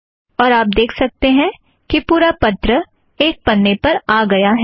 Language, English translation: Hindi, You can see that the whole letter has come to one page